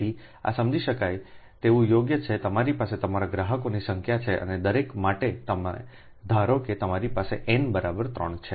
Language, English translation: Gujarati, you have n, a, n, n, your n number of consumers, and for each one you will take, suppose you have n is equal to three